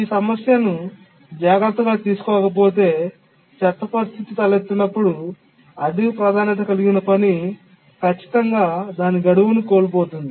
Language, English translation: Telugu, If the problem is not taken care, then in the worst case, when the worst case situation arises, definitely the high priority task would miss its deadline